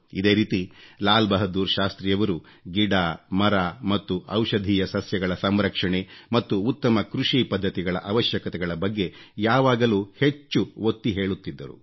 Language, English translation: Kannada, Similarly, Lal Bahadur Shastriji generally insisted on conservation of trees, plants and vegetation and also highlighted the importance of an improvised agricultural infrastructure